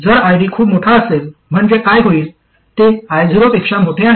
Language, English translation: Marathi, If ID is too large, that is it is larger than I 0, what must happen